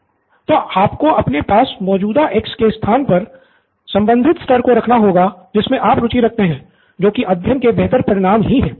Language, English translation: Hindi, So you will have to replace the X that you have, with the particular level that you are interested in, which is the learning outcomes itself